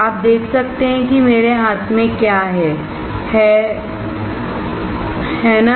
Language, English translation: Hindi, You can see what I have in my hand, right